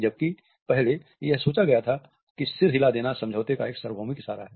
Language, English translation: Hindi, Earlier it was thought that nodding a head is a universal gesture of agreement